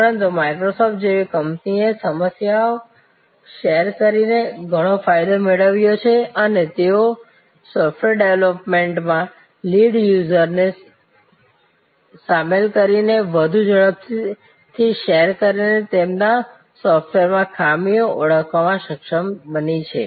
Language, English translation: Gujarati, But companies like Microsoft has gained enormously by sharing the problems and they have been able to identify flaws and bugs in their software for more faster by sharing, by involving the lead users in the software development